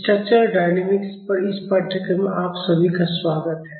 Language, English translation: Hindi, Welcome all of you to this course on Structural Dynamics